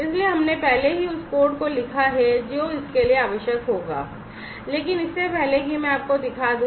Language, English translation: Hindi, So, we have already written the code that will be required for it, but before that let me show you